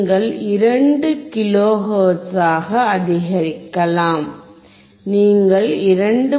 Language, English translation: Tamil, And you can increase to 2 kilo hertz; you increase to 2